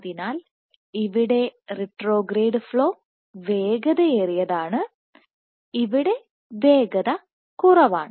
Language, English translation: Malayalam, So, here retrograde flow is fast here it is slow